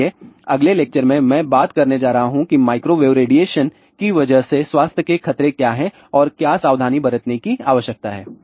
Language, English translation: Hindi, So, in the next lectures I am going to talk about what are the health hazards possible because of the microwave radiation and what precautions need to be taken